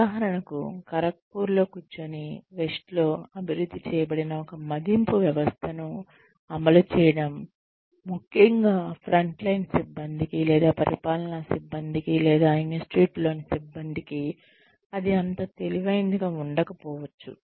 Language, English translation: Telugu, For example, sitting in Kharagpur, it may not be very wise for us, to implement an appraisal system, that was developed in the west, especially for the front line staff, or for the administrative staff, or for the staff in the institute